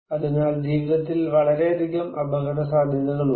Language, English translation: Malayalam, So, I have so many risks in life